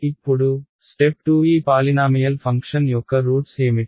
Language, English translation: Telugu, Now, step 2 what are the roots of this polynomial function